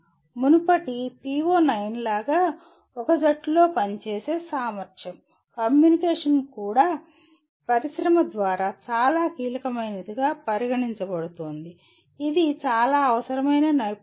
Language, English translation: Telugu, Once again like the earlier PO9, ability to work in a team, communication is also considered very very crucial by industry, is a very essential skill